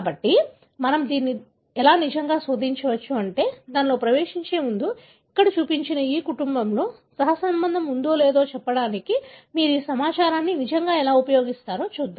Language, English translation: Telugu, So, we can really search that, but just before getting into that, let us look into how do you really use this information to tell whether in this family that have been shown here, whether there is a correlation, right